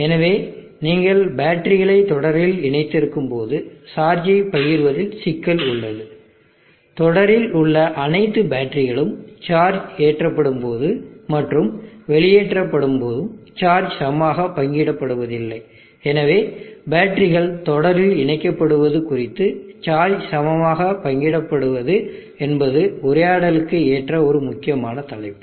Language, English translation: Tamil, Thirdly we need to look at problems associated with battery being connected in series so when you have batters connected in series there is a problem with charge sharing all the batters and series do not share equally the charge while being charge and while being discharged and therefore charge equalization is an important topic that need to be addressed with regard to battery being connected in series